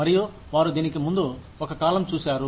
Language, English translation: Telugu, And, they saw a time, before this